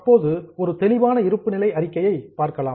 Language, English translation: Tamil, Now let us go for a detailed balance sheet